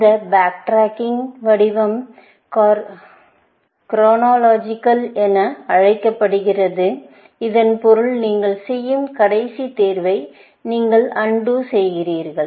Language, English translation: Tamil, This form of backtracking is called chronological, which mean that you undoing the last choice that you are making